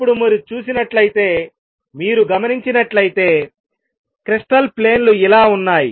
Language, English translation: Telugu, Now you see if you notice here the crystal planes are like this